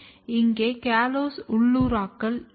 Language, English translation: Tamil, And here is the callose localization